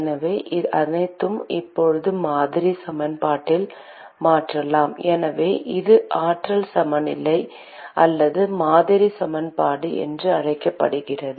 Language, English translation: Tamil, So, we can substitute all those into the model equation now, so this is what is called the energy balance or model equation